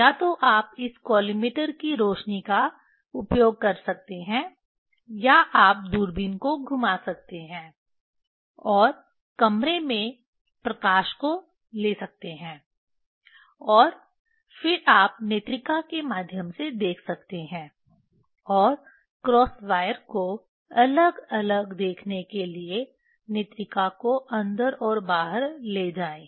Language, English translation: Hindi, Either you can use this collimator light or you can rotate the telescope and take the room light and then you can look through the eyepiece move eyepiece in and out if to see the cross wire distinctly